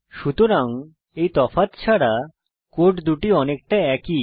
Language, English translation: Bengali, So, apart from these differences, the two codes are very similar